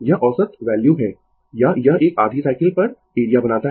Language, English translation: Hindi, This is the average value or this one you make area over half cycle